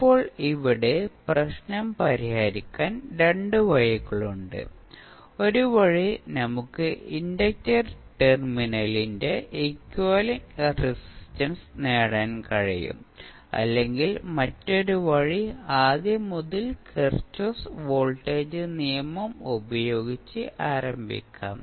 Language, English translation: Malayalam, Now, here we have two ways to solve this problem, one way is that we can obtain the equivalent resistance of the inductor terminal, or other way is that, we start from scratch using Kirchhoff voltage law